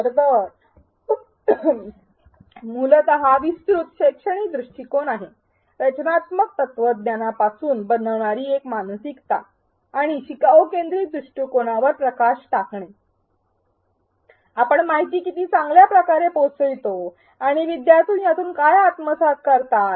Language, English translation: Marathi, It is essentially a broad pedagogical approach in fact, a mindset almost which comes from constructivist philosophies and the focus in a learner centric approach shifts from how well did we convey the information to what if the students actually get out of it